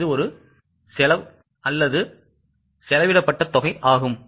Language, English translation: Tamil, This is the amount which has been spent